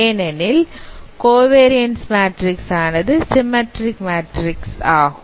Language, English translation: Tamil, And that is how the covariance matrix is defined